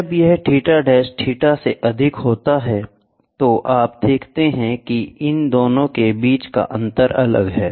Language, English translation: Hindi, When if it is theta dash is greater than theta, then you see the gap is different between these 2